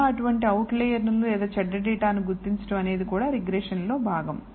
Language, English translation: Telugu, How to identify such outliers or bad data is also part of the regression